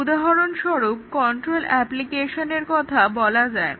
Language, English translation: Bengali, For example, control applications